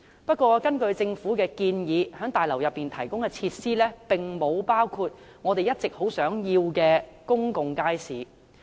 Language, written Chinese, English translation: Cantonese, 不過，根據政府的建議，在大樓內提供的設施並沒有包括我們一直要求的公共街市。, However according to the Governments proposal the facilities to be provided in the complex do not include a public market which we have all along requested